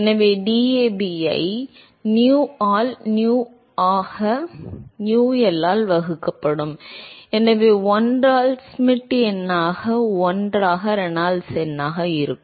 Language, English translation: Tamil, So, there will be DAB divided by nu into nu by UL, so there will be 1 by Schmidt number into 1 by Reynolds number